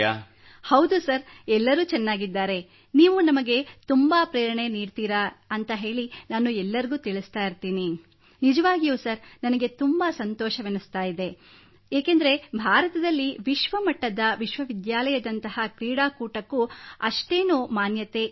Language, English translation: Kannada, Yes sir, everything is fine, I tell everyone that you motivate us so much, really sir, I am feeling very good, because there is not even a lot of demand for a game like World University in India